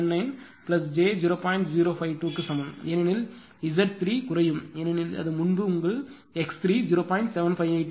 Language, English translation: Tamil, 8106 one point because Z 3 it will decrease because earlier it was it was your x 3 is equal to 0